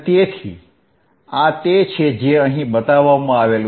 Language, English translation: Gujarati, So, this is what is shown here